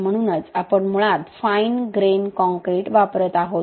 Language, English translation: Marathi, So that is why we are basically using a fine grain concrete